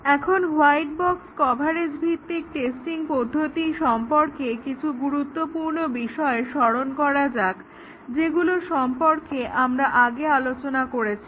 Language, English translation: Bengali, Now, let us recollect some important aspects of the white box coverage based testing technique that we had discussed